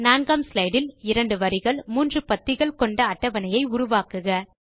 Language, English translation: Tamil, On the 4th slide, create a table of 2 rows and three columns